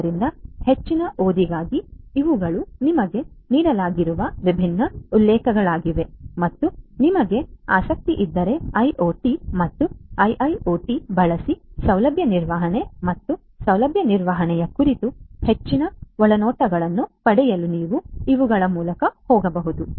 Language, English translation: Kannada, So, for further reading these are these different references that have been given to you and in case you are interested you can go through them to get further insights about facility management and facility management using IoT and IIoT